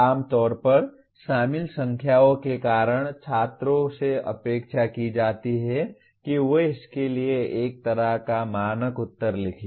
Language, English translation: Hindi, Generally because of the numbers involved, the students are expected to write a kind of a standard answer for that